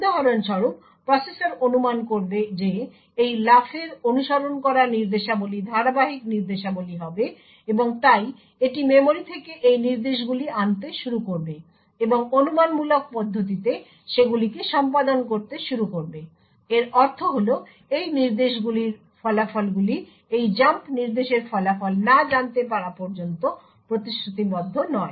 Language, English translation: Bengali, For example the processor would speculate that the instructions following this jump would be the consecutive instructions and therefore it will start to fetch these instructions from the memory and start to execute them in a speculative manner, what this means is that the results of these instructions are not committed unless and until the result of this jump instruction is known